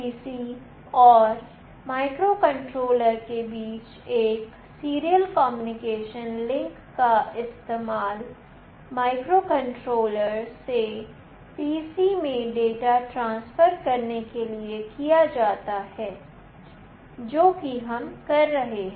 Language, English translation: Hindi, A serial communication link between the PC and the microcontroller is used to transfer data from microcontroller to PC, which is what we will be doing